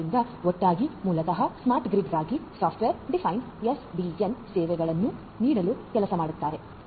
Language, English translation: Kannada, So, together basically they work hand in hand in order to offer the software defined SDN and services for smart grid